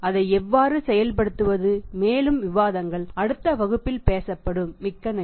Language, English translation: Tamil, How to work it out and furthermore discussions will be talking in the next class, thank you very much